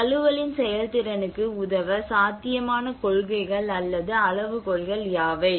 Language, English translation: Tamil, What are the possible principles or criteria to assist effectiveness of adaptation